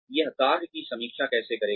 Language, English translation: Hindi, How it will review the work